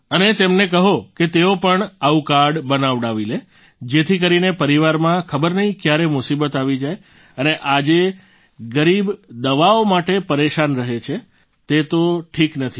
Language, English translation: Gujarati, And do tell them that they should also get such a card made because the family does not know when a problem may come and it is not right that the poor remain bothered on account of medicines today